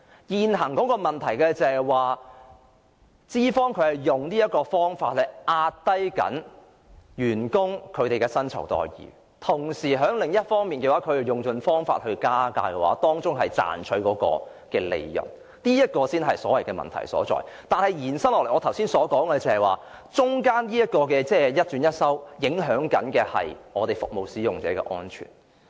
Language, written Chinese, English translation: Cantonese, 現時的問題是，資方正在利用這種方法壓低員工的薪酬待遇，同時在另一方面卻用盡方法加價賺取利潤，這才是問題所在；但是，再延伸下去，正如我剛才討論時所說，當中的一轉一收，所影響的是服務使用者的安全。, The problem now is that the management is employing this means to suppress employees salaries and at the same time seeking to increase the fares to reap profits by all means . This is where the problem lies . But when things go on like this as I said in my discussion earlier changing the employment terms and withholding employees benefits will only take toll on the safety of service users